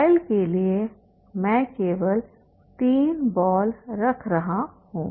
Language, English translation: Hindi, For trial I am keeping only three balls